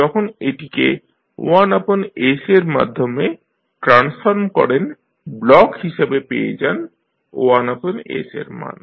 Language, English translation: Bengali, Now, when you transform this through 1 by S as a block you get the value of i s here